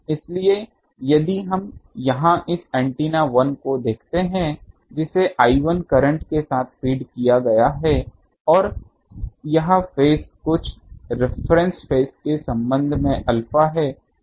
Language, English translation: Hindi, So, if we see here these this antenna 1 that has an fed with current I 1 and it is phase is with respect to some reference phase is alpha